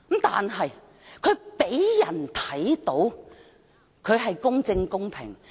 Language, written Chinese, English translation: Cantonese, 但他讓人看到，他是公正、公平的。, But he gave the impression that he was fair and impartial